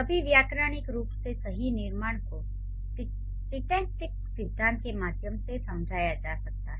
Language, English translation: Hindi, All grammatically correct constructions can be explained through syntactic theories